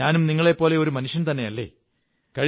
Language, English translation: Malayalam, After all I am also a human being just like you